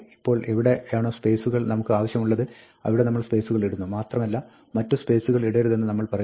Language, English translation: Malayalam, Now, we put spaces where we want them and we say do not put any other spaces